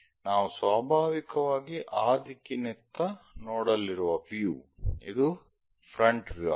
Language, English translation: Kannada, The front view naturally towards that direction we are going to look